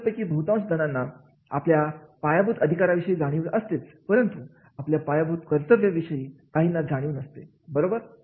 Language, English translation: Marathi, Most of us may be aware about our fundamental rights but may not be the fundamental, all fundamental duties, right